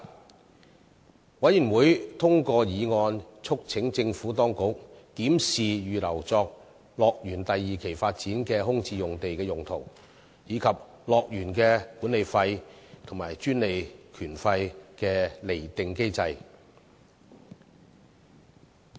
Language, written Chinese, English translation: Cantonese, 事務委員會通過議案，促請政府當局檢視預留作樂園第二期發展的空置用地的用途，以及樂園的管理費和專利權費的釐定機制。, The Panel passed the motions urging the Administration to review the utilization of the vacant site reserved for the Phase 2 development of HKDL and to devise a mechanism concerning the management fees and royalties of HKDL